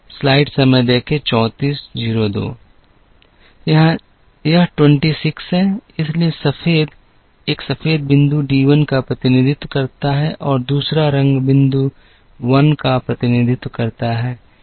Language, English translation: Hindi, This is 26, so the white one, the white point represents D 1 and the other colour point represents a 1